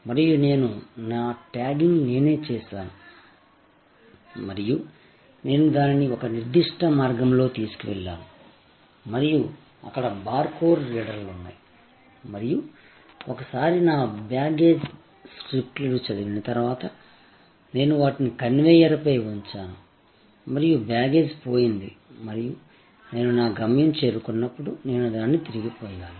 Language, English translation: Telugu, And I did my tagging myself and I took it to a particular route and there were barcode readers and once my baggage strips were read, I put them on the conveyor myself and the baggage was gone and I got it back perfectly ok, when I reach my destination later on